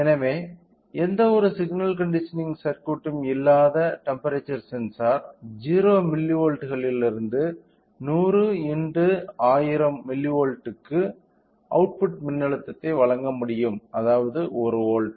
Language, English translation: Tamil, So, which means that the temperature sensor without any signal conditioning circuit can provide an output voltage from 0 milli volts to 100 in to 1000 10 volts, sorry 1000 milli volts which means 1 volt